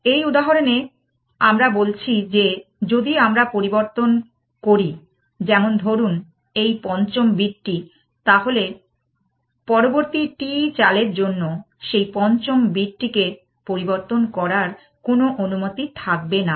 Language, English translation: Bengali, In this example, we are saying that, if we are change, let us say the fifth bit now, then for the next t moves, I am not allowed to change that fifth bit essentially